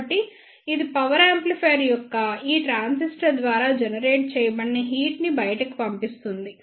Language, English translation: Telugu, So, it will dissipate the heat generated by this transistor of power amplifier